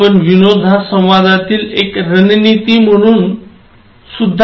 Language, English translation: Marathi, Can we use humour as a communication strategy